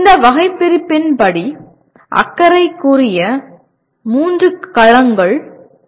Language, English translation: Tamil, As per this taxonomy, there are three domains of concern